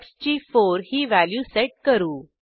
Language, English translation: Marathi, we set the value of x as 4